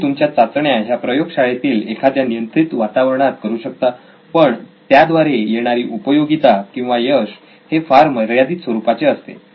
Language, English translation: Marathi, You can do your test in lab conditions, in controlled environment but it has limited success or limited applicability